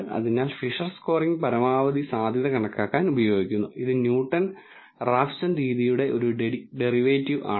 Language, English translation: Malayalam, So, the Fisher’s scoring is used for maximum likelihood estimation and it is a derivative of Newton Raphson method